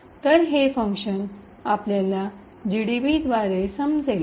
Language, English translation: Marathi, So, the way we will understand this function is through GDB